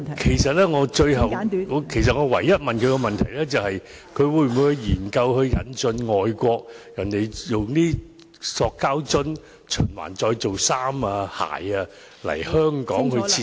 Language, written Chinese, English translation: Cantonese, 其實我問他的唯一問題是當局會否研究引進外國的將塑膠樽循環再造為衣服、鞋的技術，並在香港設廠......, Actually the only question I asked him was whether the Administration would study the possibility of introducing the foreign technology of recycling plastic bottles into clothes and shoes and of setting up such production facilities in Hong Kong He answered all the questions except this part